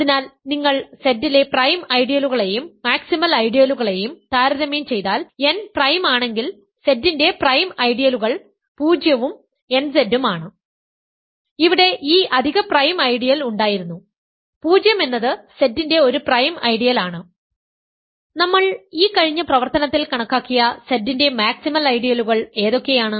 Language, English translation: Malayalam, So, if you compare prime ideals and maximal ideals in Z, recall prime ideals of Z are 0 and nZ where n is prime right, there was this additional prime ideal, 0 is a prime ideal of Z, what are maximal ideals of Z which we just computed by this exercise